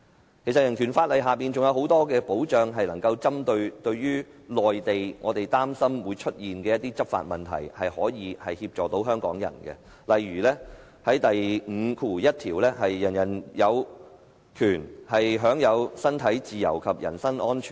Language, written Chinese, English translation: Cantonese, 其實香港人權法案還提供很多保障，可針對我們擔心會出現的有關內地人員執法的問題，為香港人提供協助，例如第五條第一款訂明："人人有權享有身體自由及人身安全。, As a matter of fact BORO provides many other kinds of protection . It can assist Hongkongers in respect of problems associated with law enforcement by Mainland officers which we feel concerned . For example Article 51 stipulates Everyone has the right to liberty and security of person